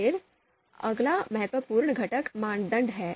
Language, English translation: Hindi, Then the next important component is the criteria